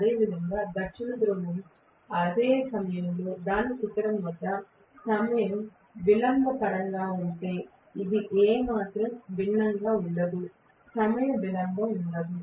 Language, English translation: Telugu, Similarly, South Pole at its peak at the same instant, it is not going to be any different at all in terms of the time delay, there will not be any time delay